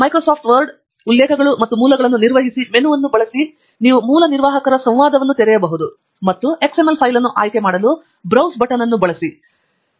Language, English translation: Kannada, Using the menu on Microsoft Word, References and Manage Sources you can open the Source Manager dialogue and use the Browse button to select the XML file